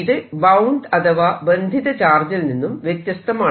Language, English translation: Malayalam, this is different from the bound charges